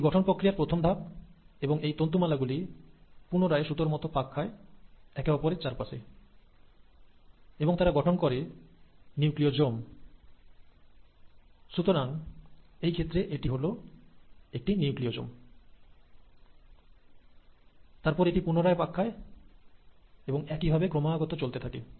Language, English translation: Bengali, Now that's the first order of organization, and then this string of beads will further coil in a helical fashion and pack over each other and they will form nucleosomes, and so in this case this is one Nucleosome, then it coils again, and the next coiling and so on